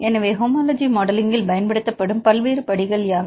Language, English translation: Tamil, So, what are the various steps used in the homology modelling